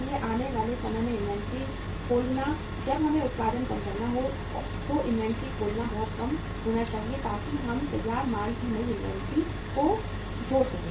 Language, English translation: Hindi, So opening inventory in the coming time when we have to regain the production should be very low, opening inventory should be very low so that we can add up the new inventory of the finished goods